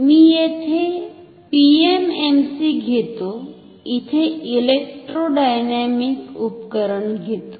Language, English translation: Marathi, I will do PMMC here an electrodynamic instrument here